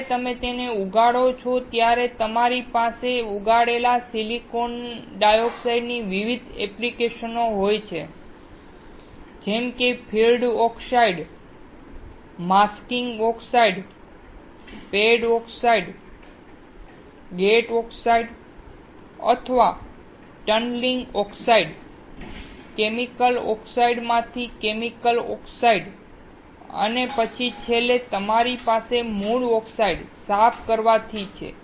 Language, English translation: Gujarati, When you grow it, you have different application of the grown silicon dioxide, such as field oxide, masking oxide, pad oxides, gate oxides or tunneling oxides, chemical oxides from chemical native oxides and then finally, you have from cleaning the native oxides